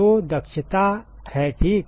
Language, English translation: Hindi, So, efficiency ok